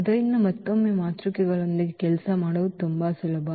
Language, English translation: Kannada, So, again this working with the matrices are much easier